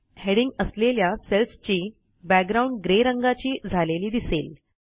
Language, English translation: Marathi, You can see that the cell background for the headings turns grey